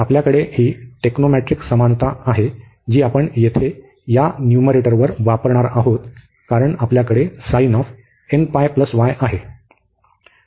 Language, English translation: Marathi, So, we have this equality the technomatric equality, which we will use here now in this numerator, because we have sin n pi plus y